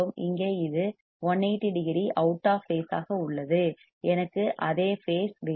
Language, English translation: Tamil, Here it is 180 degree out of phase here, I want same phase